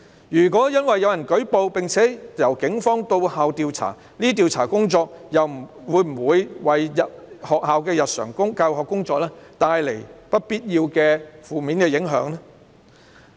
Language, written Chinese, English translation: Cantonese, 如果因有人舉報而警方到校調查，這些調查工作會否為學校的日常教學工作帶來不必要的負面影響？, If someone lodges a complaint and the Police thus go to the school to investigate will the investigation work bring any unnecessary adverse impact on the daily teaching work in the school?